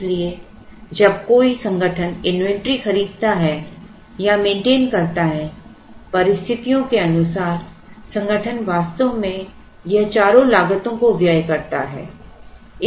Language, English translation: Hindi, So, when an organization maintains buys maintains inventory the organization actually incurs all these four costs depending on certain situations